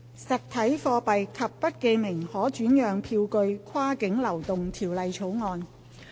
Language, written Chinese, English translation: Cantonese, 《實體貨幣及不記名可轉讓票據跨境流動條例草案》。, Cross - boundary Movement of Physical Currency and Bearer Negotiable Instruments Bill